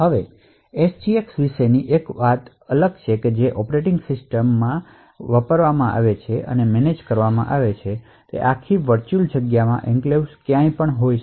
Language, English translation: Gujarati, Now the unique thing about the SGX is that the operating system can choose and manage where in the entire virtual space the enclave should be present